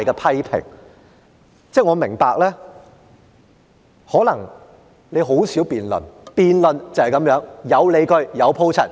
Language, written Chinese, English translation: Cantonese, 我明白主席你可能很少辯論，辯論就是這樣，有理據、有鋪陳。, I understand that you President probably seldom engage in a debate . This is what a debate is like presenting justification and making elaboration